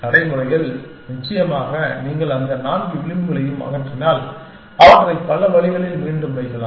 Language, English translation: Tamil, In practice, off course if you remove those four edges, you can put them back in many different ways